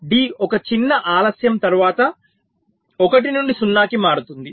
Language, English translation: Telugu, so after small delay, d is changing from one to zero